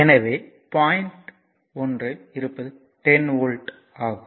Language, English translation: Tamil, So, it is 10 volt